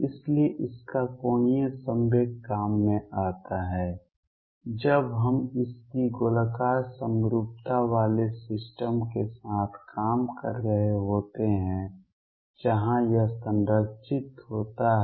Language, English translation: Hindi, So, its angular momentum comes into play when we are dealing with systems with its spherical symmetry where it is conserved